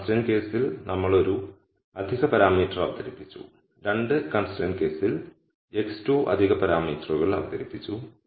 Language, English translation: Malayalam, In the one constraint case we introduced one extra parameter, in the 2 constraints case the x introduced 2 extra parameters